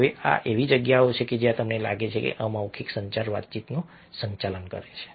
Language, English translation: Gujarati, these are places where you find that non verbal communication does manage to communicate